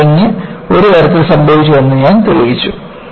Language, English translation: Malayalam, I have shown that buckling has happened in one way